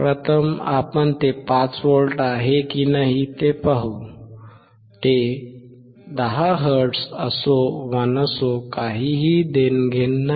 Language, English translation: Marathi, First we will see whether it is 5V or not; whether it is 10 hertz or not